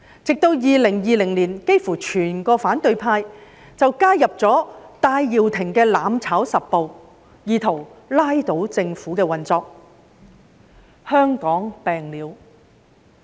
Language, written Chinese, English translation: Cantonese, 直至2020年，幾乎整個反對派都加入了戴耀廷的"攬炒十步"，意圖拉倒政府運作——香港病了。, By 2020 nearly all members in the opposition joined the 10 - step mutual destruction scheme of Benny TAI to try to bring down the operation of the Government―Hong Kong was sick